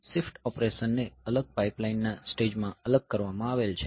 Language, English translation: Gujarati, So, shift operation it has been separated into a separate pipeline stage